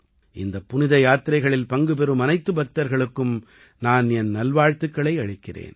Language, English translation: Tamil, I wish all the devotees participating in these Yatras all the best